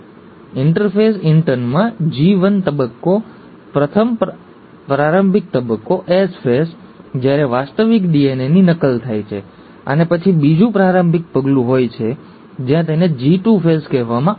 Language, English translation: Gujarati, Interphase inturn has the G1 phase, the first preparatory phase, the S phase, when the actual DNA replication happens, and then the second preparatory step, where it is called as the G2 phase